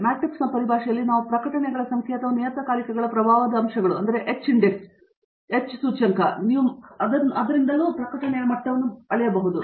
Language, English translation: Kannada, We can measure in terms of matrix like number of publications or the impact factors of the journals, h index, whatever it is that you want to talk about